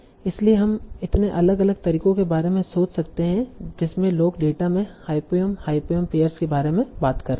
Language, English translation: Hindi, So you can think of so many different ways in which people can talk about hyphenem hyphenem, hyperneem pair in the data